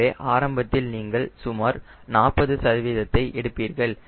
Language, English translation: Tamil, so initially you take around forty percent, how do it matter